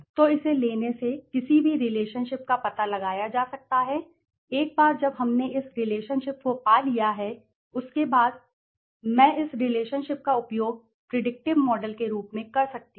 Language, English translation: Hindi, So, by taking this can be find out any relationship now once we have found this relationship then after that can I use this relationship as a predictive model in the later on stages okay